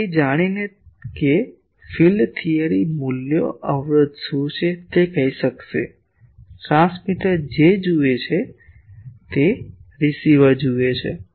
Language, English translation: Gujarati, And knowing that field theory values will be able to tell what are the impedances, what are the as the transmitter sees, as the receiver sees